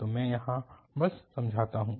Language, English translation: Hindi, So, let me just explain here